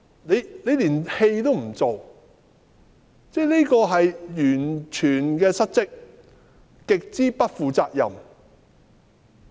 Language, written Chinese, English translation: Cantonese, 她連戲都不願做，是完全的失職，極之不負責任。, She is not even willing to put up a show . This is a grave dereliction of duty and she is immensely irresponsible